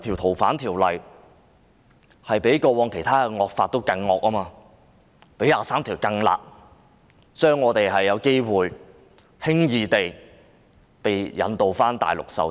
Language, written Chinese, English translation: Cantonese, 《逃犯條例》較以往其他惡法更"惡"，亦較《基本法》第二十三條更"辣"，我們或許會輕易地被引渡到內地受審。, FOO is even more evil than the other draconian laws in the past . It is also harsher than Article 23 of the Basic Law . We may be easily extradited to the Mainland for trial